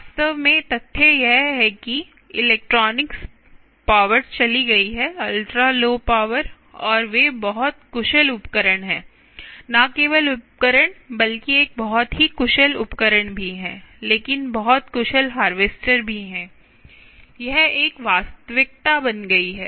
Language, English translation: Hindi, ah, the fact that the power, the electronics has gone, electronics has gone, ah, ultra low power, and there are very efficient ah efficient tools, not just tools, also a very efficient, not only efficient tools, but also very efficient ah, harvesters, harvesters